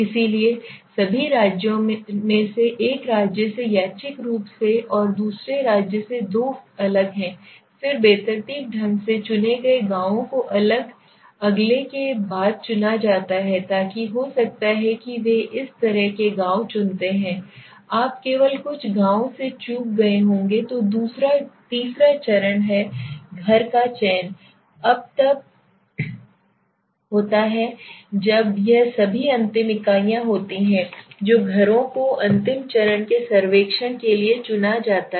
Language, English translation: Hindi, So from all the states randomly one from one state and two from other state the distinct are chosen then randomly the villages are chosen after the distinct next so may be might choosing such villages may be you might have missed with only few villages then the third stage is selecting the house is now when this is all ultimate units the houses also selected to the last step as survey